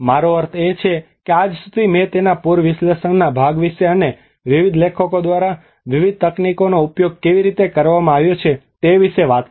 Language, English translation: Gujarati, I mean till now I talked about the flood analysis part of it and how different techniques have been used by various authors